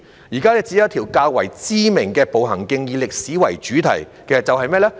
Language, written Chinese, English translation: Cantonese, 現時只有一條較知名的步行徑以歷史為主題，是甚麼呢？, At present there is only one relatively well - known walking trail with a historical theme . What is it?